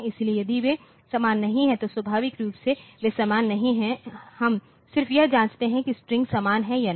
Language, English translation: Hindi, So, if they are not equal then naturally they are not same we just check whether the strings are same or not